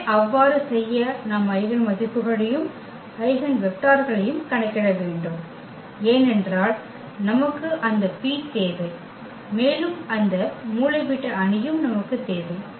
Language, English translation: Tamil, So, but to do so, we have to compute the eigenvalues and also the eigenvectors, because we need that P and we also need that diagonal matrix